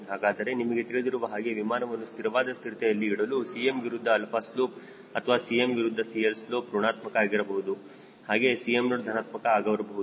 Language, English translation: Kannada, so you know that in order for an aircraft to be statically stable, your slope of cm versus alpha or slope of cm versus cl should be negative as well as cm naught should be a positive number